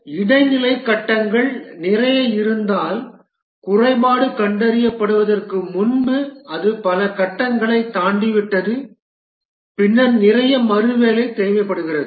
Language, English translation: Tamil, And therefore, if there are a lot of intermediate phases, it has crossed many phases before the defect is detected, then lot of rework is needed